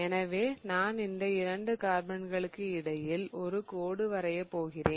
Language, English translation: Tamil, So, what I will do is I will draw a dashed line between the two carbons